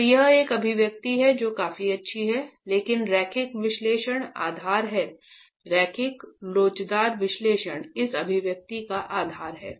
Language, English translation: Hindi, So this is an expression that is fairly good but linear analysis is the basis, linear elastic analysis is the basis of this expression itself